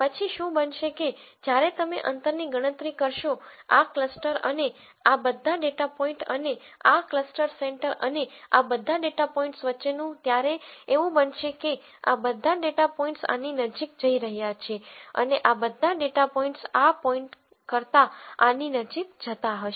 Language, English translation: Gujarati, Then what is going to happen is that when you calculate the distance between this cluster and all of these data points and this cluster center and all of these data points, it is going to happen that all these data points are going to be closer to this and all of these data points are going to be closer to this than this point